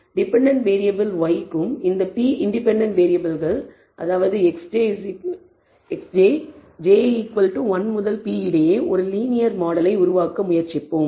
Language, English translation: Tamil, We will try to develop a linear model between the dependent variable y and these independent p independent variables x j, j equals 1 to p